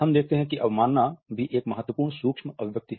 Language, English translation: Hindi, We find that contempt is also an important micro expression